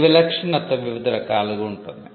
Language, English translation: Telugu, The distinctiveness can be of different types